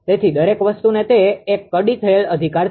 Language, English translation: Gujarati, So, every everything is a it is a linked right